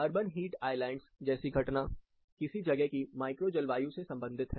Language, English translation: Hindi, The phenomenon like urban heat Islands, are more closely associated with micro climate of a given location